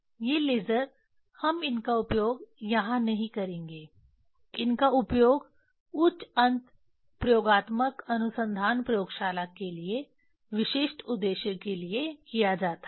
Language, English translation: Hindi, These lasers we will not use these are for these are used for specific purpose for higher end experimental research laboratory